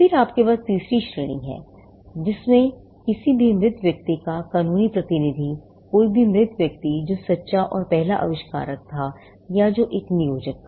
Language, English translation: Hindi, Then you have the third category, the legal representative of any deceased person; any deceased person, who was the true and first inventor or who was an assignee